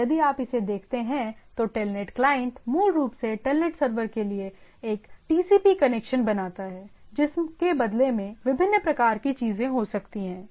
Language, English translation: Hindi, Or if you look at it that Telnet client basically does a TCP connection to the Telnet server, which in turn can have different type of things